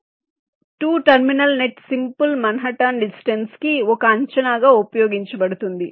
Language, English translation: Telugu, so one thing: for two terminal nets, simple manhattan distance is use as a estimate